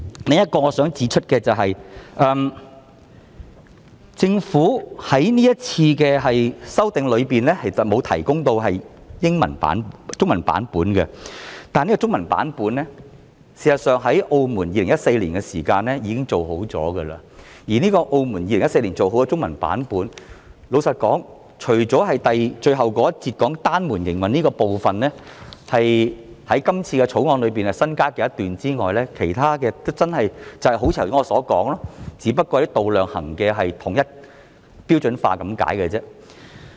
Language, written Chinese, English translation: Cantonese, 我想指出的另一點是，政府在這次修訂中沒有提供 Annex II 的中文版，但事實上，澳門已在2014年提供中文版，這個版本除了最後一節提到單門營運的部分，那是《條例草案》新增的一段外，其他部分真的正是如我剛才所說般，只是統一度量衡用詞和單位而已。, Another point that I would like to highlight is that in this amendment exercise the Government has not provided a Chinese version for Annex II . But in fact Macao provided a Chinese version in 2014 . In this version apart from the last section which mentions single - door operation the section newly added to the Bill the other parts are really simply alignment of terms and units of measurement as I just mentioned